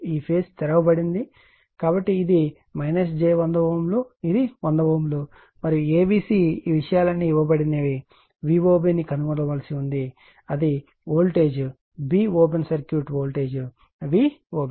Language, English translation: Telugu, So, this is minus j 100 ohm this is one 100 ohm and A B C all these things are given you have to find out V O B that what is the voltage b open circuit voltage V O B